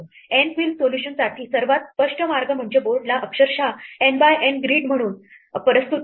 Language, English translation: Marathi, The most obvious way for an N queen solution is to represent the board literally as an N by N grid